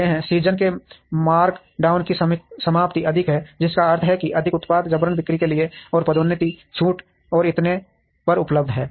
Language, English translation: Hindi, End of the season markdowns are higher, which means more products are available for forced sale or through promotions discounts and so on